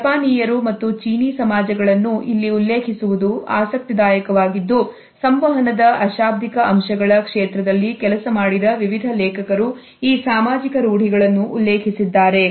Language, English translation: Kannada, It is interesting to refer to the Japanese and the Chinese societies, various authors who have worked in the area of nonverbal aspects of communication have referred to these societal norms